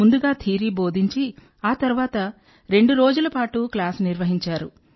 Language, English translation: Telugu, First the theory was taught and then the class went on for two days